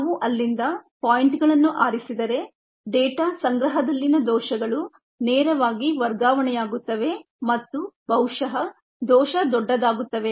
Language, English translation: Kannada, if we just pic points from there, the errors in the data collection would directly get transferred and ah probably get magnified